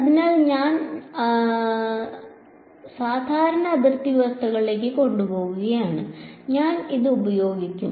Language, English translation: Malayalam, So, that takes us to normal boundary conditions and I will use